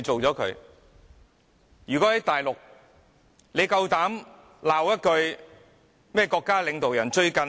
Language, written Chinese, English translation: Cantonese, 在內地，你膽敢罵國家領導人一句嗎？, In the Mainland do you dare to scold the national leaders?